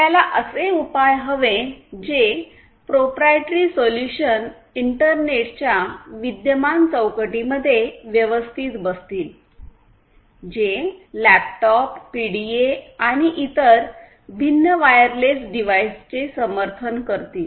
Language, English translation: Marathi, We need to come up with a solution which can fit these proprietary solutions to the existing framework of the internet; which is, which is already supporting laptops PDAs and different other wireless devices